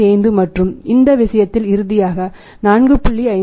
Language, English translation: Tamil, 55 and in this case the finally the values 4